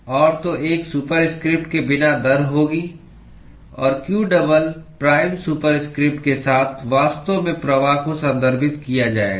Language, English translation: Hindi, And, so without a superscript would be rate; and q with a double prime superscript would actually be referred to flux